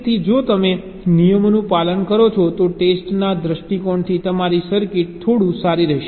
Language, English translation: Gujarati, so if you follow those rules, then your circuit will be a little better from the testing point of view